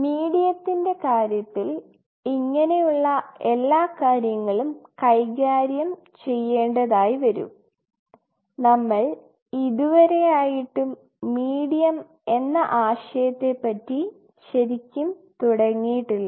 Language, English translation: Malayalam, In terms of the medium will have to deal with this whole thing we still have not really started the concept of medium